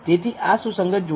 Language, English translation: Gujarati, So, it is a concordant pair